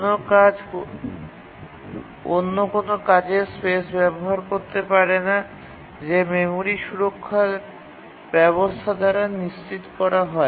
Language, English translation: Bengali, A task cannot access the address space of another task, and that is ensured by the memory protection mechanism